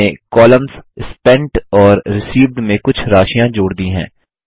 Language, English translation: Hindi, I have added some amounts in the columns Spent and Received